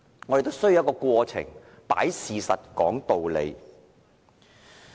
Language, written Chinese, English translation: Cantonese, 我們是需要一些過程，擺事實，講道理的。, We need a process to display the facts and expound the justifications